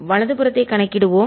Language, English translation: Tamil, let's calculate the right hand side